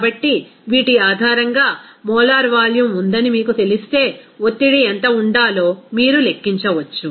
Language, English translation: Telugu, So, based on these, you can calculate what should be the pressure if you know that molar volume is there